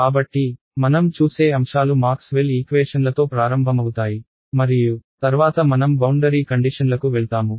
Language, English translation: Telugu, So, the topics that we look at will be starting with Maxwell’s equations and then I go to boundary conditions